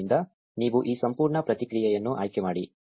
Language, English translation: Kannada, So, you select this entire response